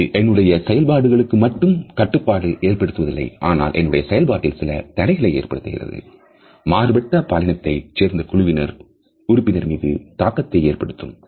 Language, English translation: Tamil, So, it constricts not only my performance, but it also puts certain under constraints on the performance of other team members also who may belong to different genders